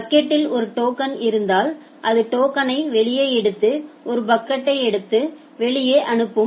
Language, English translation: Tamil, If there is a token in the bucket it will take out the token take a packet and send them out